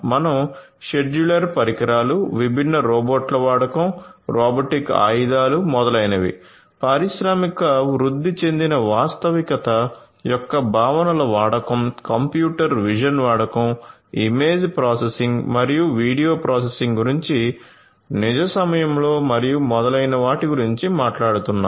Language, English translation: Telugu, Then we are talking about modular equipments use of modular equipments, use of different robots, robotic arms, etcetera, use of concepts of industrial augmented reality, use of computer vision computer vision, image processing and video processing in real time and so on